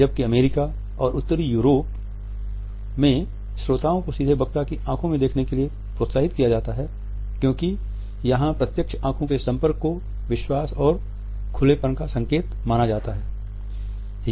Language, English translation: Hindi, Where is in the US and in northern Europe, listeners are encouraged to look directly into the eyes of the speaker because this direct eye contact is considered to be a sign of confidence and openness